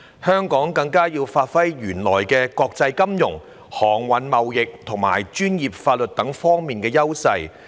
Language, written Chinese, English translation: Cantonese, 香港更加要發揮原來在國際金融、航運貿易和專業法律等方面的優勢。, Hong Kong has to make greater efforts to leverage our existing strengths in international finance transportation trade professional and legal services